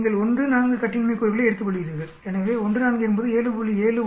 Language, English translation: Tamil, You take 1 comma 4 degrees of freedom so 1 comma 4 comes to 7